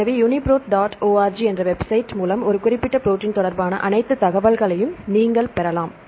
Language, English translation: Tamil, So, the website the UniProt dot org you can get all the information regarding a particular protein